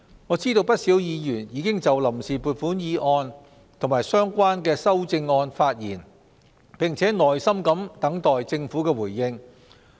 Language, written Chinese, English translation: Cantonese, 我知道不少議員已經就臨時撥款議案及相關修訂議案發言，並耐心等待政府回應。, I know that many Members have spoken on the Vote on Account Resolution and its relevant amendments and they are patiently waiting for the Governments response